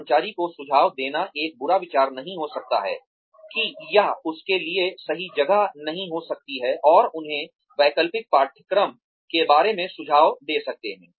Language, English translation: Hindi, It may not be a bad idea, to suggest to the employee, that that this may not be the right place for him or her, and to give them suggestions, regarding alternative courses